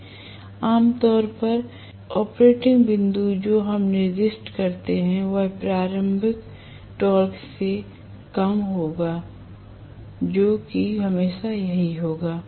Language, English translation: Hindi, So, generally the operating point what we specify will be less than the starting torque invariably that is how it will be